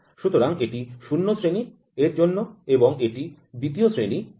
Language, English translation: Bengali, So, this is for grade 0 and this is for grade 2